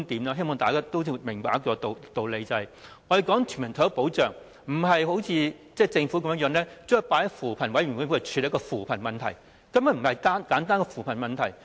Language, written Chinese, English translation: Cantonese, 我希望大家都明白一個道理，也就是我們所說的全民退休保障，並非如政府現時的做法般，把它放在扶貧委員會處理的扶貧問題，因為這根本不是簡單的扶貧問題。, I hope Members can understand that the universal retirement protection that we call for now is different from the way that the Government now handles it in making it an issue of poverty alleviation within the ambit of the Commission on Poverty CoP because it is actually not a simple issue about poverty alleviation